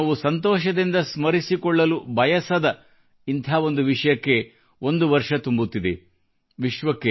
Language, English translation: Kannada, However, it has been one year of one such incidentwe would never want to remember fondly